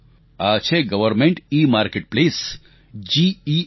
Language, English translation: Gujarati, Government EMarketplace GEM